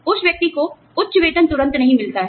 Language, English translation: Hindi, That person, does not get the high salary, immediately